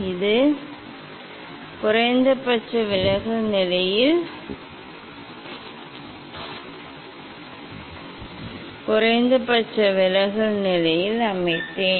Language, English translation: Tamil, here it is the, I set it at minimum deviation position